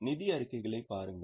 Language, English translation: Tamil, Just look at the financial statements